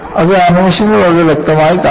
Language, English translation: Malayalam, And, that is very clearly seen in the animation